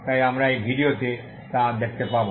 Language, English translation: Bengali, So we will see that in this video